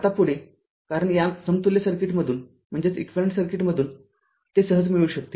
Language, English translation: Marathi, Now, next that, because from this equivalent circuit you can easily get it right